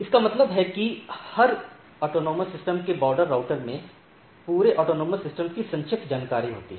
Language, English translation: Hindi, So, that means, the border router of every autonomous system have a summarized information of the whole autonomous systems